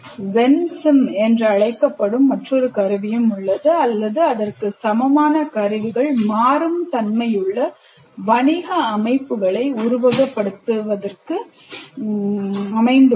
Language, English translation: Tamil, Then there is another tool called WENCIM are several equivalents of that is a tool for simulating business dynamic systems